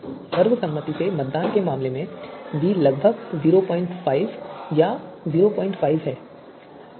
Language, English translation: Hindi, If the voting is by consensus then value of v should be approximately 0